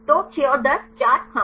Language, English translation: Hindi, So, the 6 and 10, 4 yes